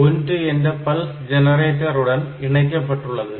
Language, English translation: Tamil, 3 is connected to a pulse generator